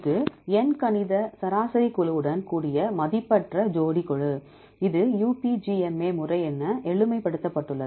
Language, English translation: Tamil, This is Unweighted Pair Group with Arithmetic Mean right, this is simplified as UPGMA method